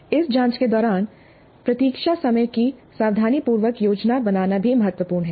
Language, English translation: Hindi, And during this probing, it's also important to plan wait times carefully